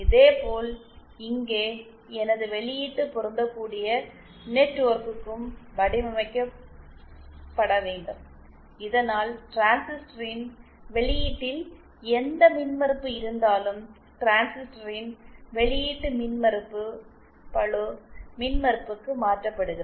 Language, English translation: Tamil, Similarly here also my output matching network has to be designed in such a way so that my at the output of the transistor whatever impedance exists, that is the output impedance of the transistor is converted to the load impedance